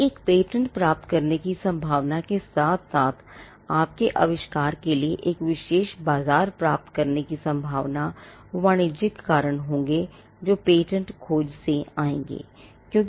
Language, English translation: Hindi, So, the chances of obtaining a patent as well as the chances of getting an exclusive marketplace for your invention will be the commercial reasons that will come out of a patentability search